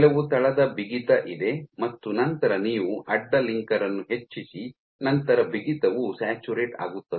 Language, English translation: Kannada, So, there is some basal stiffness and then you increase the cross linker then your stiffness saturates